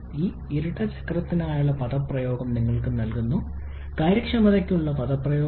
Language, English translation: Malayalam, I am just giving you the expression for this dual cycle, the expression for efficiency